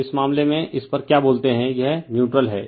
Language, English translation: Hindi, So, in this case , your what you call at this is a neutral